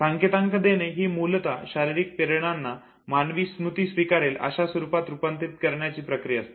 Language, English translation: Marathi, Now encoding basically is the process of transformation of a physical stimulus in a form that human memory accepts